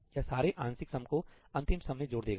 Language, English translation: Hindi, It will add up the partial sums into the final sum